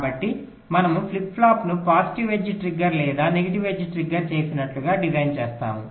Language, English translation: Telugu, so we design the flip flop like a positive edge triggered or a negative edge triggered